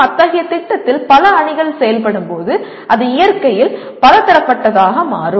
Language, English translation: Tamil, When multiple teams are working on such a project it becomes multidisciplinary in nature